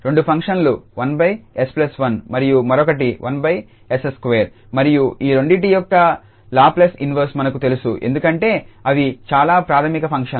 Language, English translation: Telugu, The two functions are 1 over s plus 1 the other one is 1 over s square and we know the Laplace inverse of both of them because they are very elementary functions